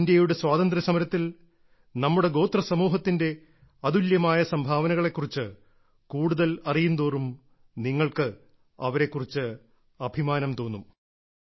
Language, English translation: Malayalam, The more you know about the unique contribution of our tribal populace in the freedom struggle of India, the more you will feel proud